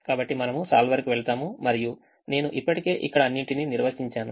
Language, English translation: Telugu, so we go to the solver and i have already define all of them here